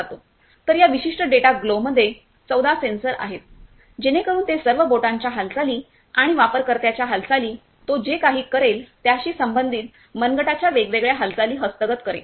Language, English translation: Marathi, So, this particular data gloves is having 14 sensors, so it will capture all the finger motions and different wrist motions related to whatever user movement will do; similar